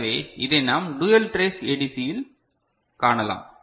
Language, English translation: Tamil, So, this is what we can see in dual trace ADC right